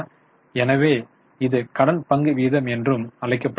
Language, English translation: Tamil, So, this is known as debt equity ratio